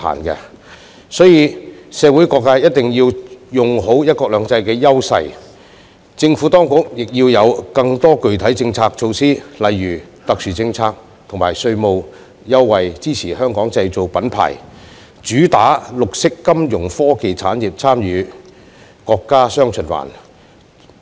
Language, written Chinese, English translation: Cantonese, 因此，社會各界一定要用好"一國兩制"優勢，而政府當局亦要有更多具體政策措施，例如特殊政策及稅務優惠，以支持"香港製造"品牌，主打綠色金融科技產業參與國家"雙循環"。, While various sectors in society must leverage the advantages under one country two systems the Administration should also introduce more specific policy measures eg . special policies and tax concessions to support the Made in Hong Kong branding featuring green financial technology industry in participating in the countrys dual circulation